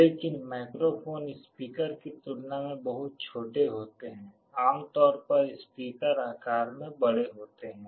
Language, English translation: Hindi, But, microphones are much smaller than a speaker, typically speakers are large in size